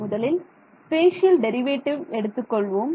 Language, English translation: Tamil, So, let us do that; so, first is the spatial derivative